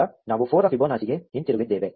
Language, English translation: Kannada, Now, we are back to Fibonacci of 4